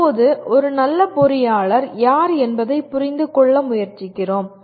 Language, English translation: Tamil, Where do we find who is a good engineer